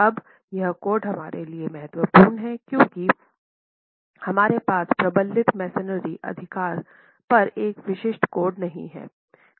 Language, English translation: Hindi, Now, this code is important for us because we do not have a specific code on reinforced masonry, right